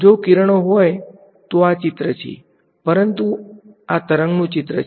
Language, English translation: Gujarati, If it were rays then this is the picture, but this is the wave picture